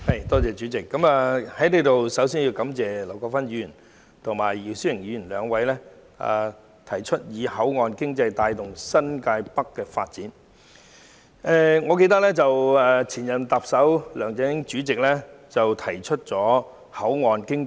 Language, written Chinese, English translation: Cantonese, 代理主席，我首先在此感謝劉國勳議員提出"以口岸經濟帶動新界北發展"的議案，以及姚思榮議員提出修正案。, Deputy President first of all I would like to thank Mr LAU Kwok - fan for proposing the motion on Driving the development of New Territories North with port economy and Mr YIU Si - wing for proposing the amendment